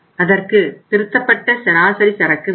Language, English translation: Tamil, And revised average inventory is the half of this